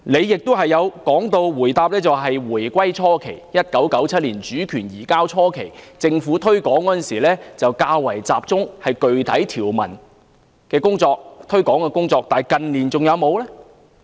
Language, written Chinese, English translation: Cantonese, 局長在答覆時又提到，在回歸初期，即1997年主權移交初期，政府推廣《基本法》時較集中於具體條文的推廣工作，但近年還有沒有這樣做呢？, The Secretary also said in the reply that during the early days of the reunification that is the early period after the handover of sovereignty in 1997 the Government focused its promotion work on the specific articles of the Basic Law . But did it still do so in recent years?